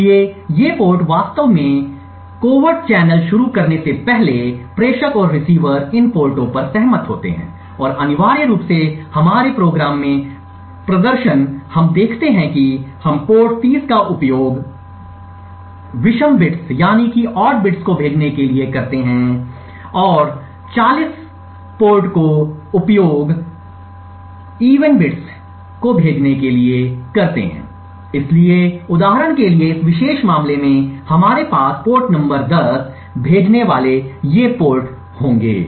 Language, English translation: Hindi, So these ports are prior to actually starting the covert channel, the sender and receiver agree upon these ports and essentially in our program the demonstration that we would see we would use 1 port say port 30 to send the odd bits and port 40 to send the even bits, so for example in this particular case we would have these ports sending the port number 10